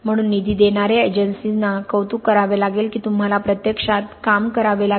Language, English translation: Marathi, So funding agencies have to appreciate that you have to work in an, in reality